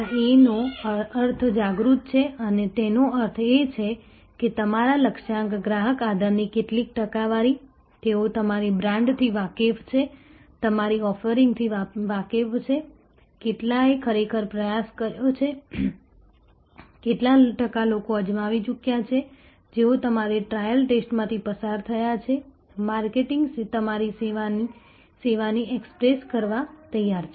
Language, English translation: Gujarati, This A stands for aware; that means, what percentage of your target customer base, they aware of your brand, aware of your offerings, how many of have actually already tried, how many what percentage of the tried people, who have gone through your trial test, marketing have ready access to your service